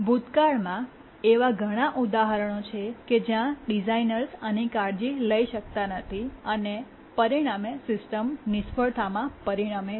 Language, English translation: Gujarati, In the past, there have been many examples where the designers could not adequately take care of this and resulted in system failure